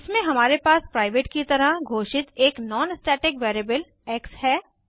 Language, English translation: Hindi, In this we have a non static variable as x declared as private